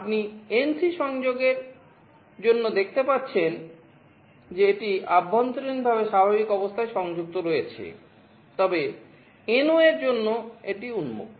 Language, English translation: Bengali, You see for the NC connection it is internally connected in the normal state, but for NO it is open